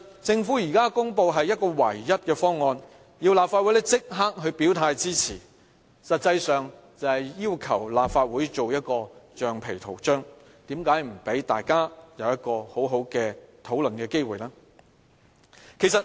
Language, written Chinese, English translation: Cantonese, 政府現時公布的是唯一的方案，要立法會立即表態支持，實際上就是要求立法會做一個橡皮圖章，為何不讓大家有一個機會好好的討論呢？, By introducing only one proposal and calling on the Legislative Council to immediately express its support the Government actually treats the legislature as the rubber stamp . Why does the Government not allow us to have sensible discussions?